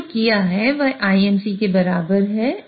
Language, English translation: Hindi, What we have done is this is equivalent to IMC